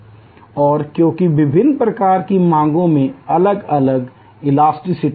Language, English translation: Hindi, And because the different types of demands have different elasticity